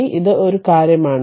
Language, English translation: Malayalam, So, this is one thing